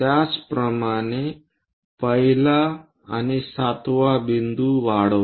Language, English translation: Marathi, Similarly, extend 1 and 7th point